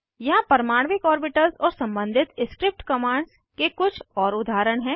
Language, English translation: Hindi, Here are few more examples of atomic orbitals and the corresponding script commands